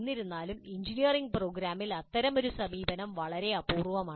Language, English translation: Malayalam, However such an approach is quite rare in engineering programs